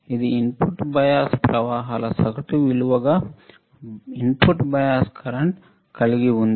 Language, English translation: Telugu, So, this is your input bias current input bias current